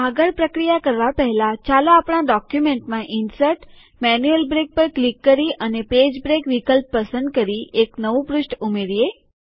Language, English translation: Gujarati, Before proceeding further, let us add a new page to our document by clicking Insert Manual Break and choosing the Page break option